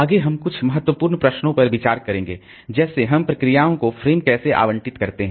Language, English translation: Hindi, Next we'll be looking into some example some important question like how do we allocate frames to the processes